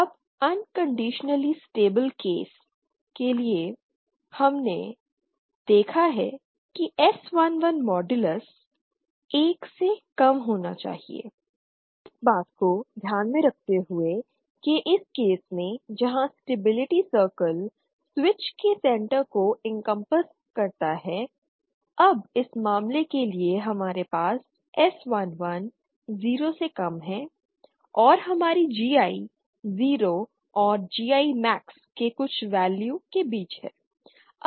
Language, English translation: Hindi, Now for an unconditionally case stable case we have seen that SII modulus should be lesser than 1, this is of course considering that this case where the stability circle is encompassing the center of the switch now for this case we have SII lesser than 0 and our GI is between 0 and some value GI max